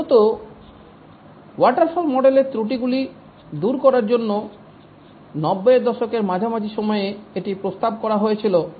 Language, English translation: Bengali, It was proposed in mid 90s mainly to overcome the shortcomings of the waterfall model